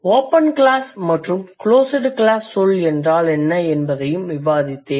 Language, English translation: Tamil, I have discussed also what is an open class word and what is a closed class word